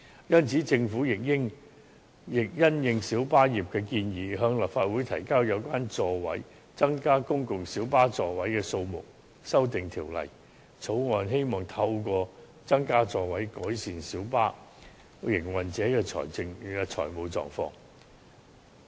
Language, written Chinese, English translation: Cantonese, 因此，政府亦因應小巴業界的建議，向立法會提交有關增加公共小巴座位數目的修訂條例草案，希望透過增加座位，改善小巴營運者的財務狀況。, Hence in the light of proposals made by the minibus trade the Government has submitted an Amendment Bill on increasing the number of seats of public light buses PLBs to the Legislative Council with the aim of improving the financial position of minibus operators through increasing the seating capacity